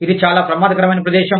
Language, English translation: Telugu, This is a very dangerous place